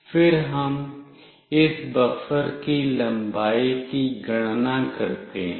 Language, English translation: Hindi, Then we calculate the length of this buffer